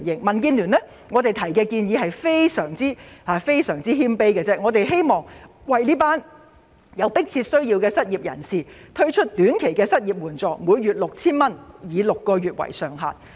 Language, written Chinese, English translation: Cantonese, 民建聯提出的建議非常謙卑，我們只是希望政府能為有迫切需要的失業人士推出短期失業援助金，每月 6,000 元，以6個月為限。, DABs proposal is indeed very humble . We only hope that the Government will provide the unemployed in urgent financial need with short - term unemployment assistance of 6,000 per month for a maximum of six months